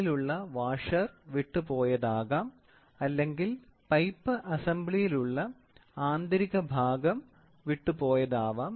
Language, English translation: Malayalam, May be the washer which is inside has given away or the assembly at the internal part has given away